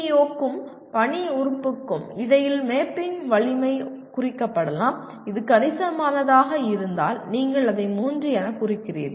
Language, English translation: Tamil, Strength of mapping between PEO and the element of mission may be marked as if it is substantial, you mark it as 3